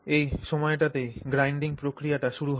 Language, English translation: Bengali, So, this is when the grinding action begins to happen